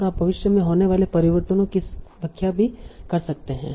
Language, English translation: Hindi, And you can explain the changes in the future